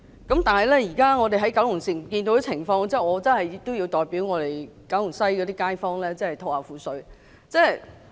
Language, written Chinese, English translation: Cantonese, 但是，看到現時九龍城的情況，我真的要代九龍西的街坊吐苦水。, However in view of the current situation of Kowloon City I really have to voice complaints on behalf of Kowloon West residents